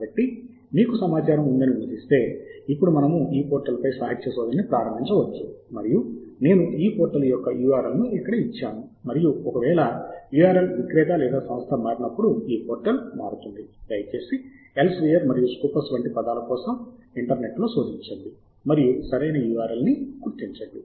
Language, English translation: Telugu, so, assuming that you have the tip information, then we can go on to now start the literature survey on this portal and and I have given the URL of this portal here and in case you are love, this portal happens to change because the vendor or the company has changed, then please do search the internet for the words like Elsevier and Scopus and identify the correct URL